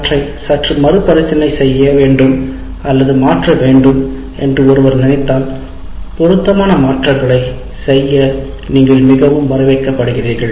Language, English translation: Tamil, If one feels that they need to slightly either reword them or modify them, you are most welcome to make it suitable to your thing